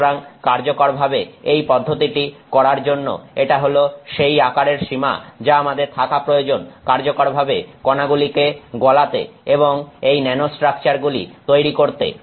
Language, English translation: Bengali, So, this is a size range that we need to have for us to effectively do this process, effectively melt the particle and create these nanostructures